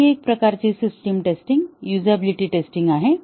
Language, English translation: Marathi, One more type of system testing is the usability testing